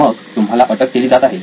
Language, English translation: Marathi, Then you are under arrest